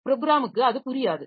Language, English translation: Tamil, So, it will not understand that